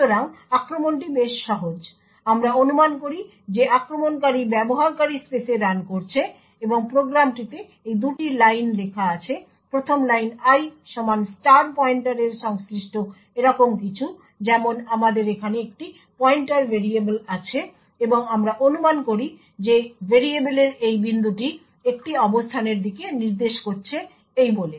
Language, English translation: Bengali, So the attack as such is quite simple the attacker we assume is running in the user space and has these two lines written in the program, the first line i equal to *pointer corresponds to something like this we have a pointer variable over here and let us assume that this point of variable is pointing to a location say this